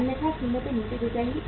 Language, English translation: Hindi, Otherwise prices will fall down